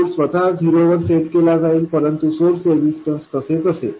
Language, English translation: Marathi, The source itself would be set to zero, but the source resistance would be in place